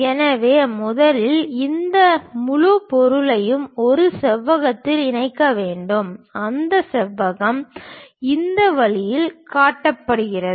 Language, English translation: Tamil, So, first we have to enclose this entire object in a rectangle, that rectangle is shown in in this way